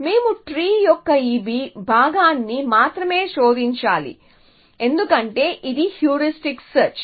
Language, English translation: Telugu, So, we have to only search this part of the tree essentially because it is a heuristic search